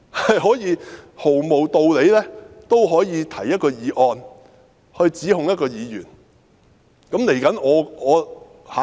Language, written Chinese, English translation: Cantonese, 在毫無道理的情況下，他們仍可提出一項議案，指控一位議員。, In the absence of any justifiable cause they can still propose a motion to level accusations at a Member